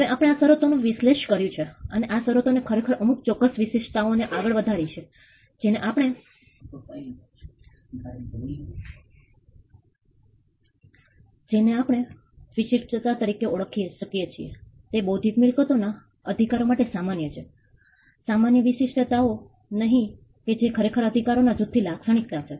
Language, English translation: Gujarati, Now we have analyzed these terms and these terms have actually thrown up certain traits which we can identify as traits that are common for intellectual property rights, if not common traits which actually characterize this group of rights